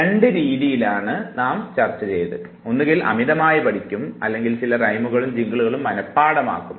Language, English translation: Malayalam, Now two methods we have discussed, now either you over learn or you have already memorized some rhymes and jingles